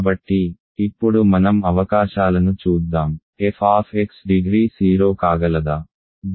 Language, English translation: Telugu, So, now let us look at the possibilities; can degree f x be 0